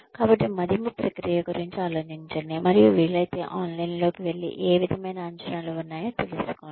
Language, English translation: Telugu, So, do think about the appraisal process, and if possible, maybe go online, and find out, what kinds of appraisals are there